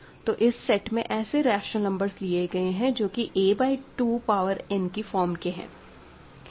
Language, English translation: Hindi, So, I am taking a rational numbers of the form a by 2 power n